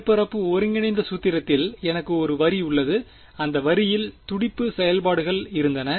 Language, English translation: Tamil, In the surface integral formulation I had a line and I had pulse functions on that line